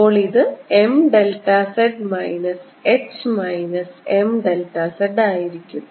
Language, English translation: Malayalam, so this is going to be m delta z minus h, minus m delta z